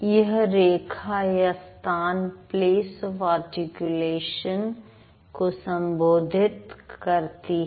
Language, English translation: Hindi, So, this line or this area is written for place of articulation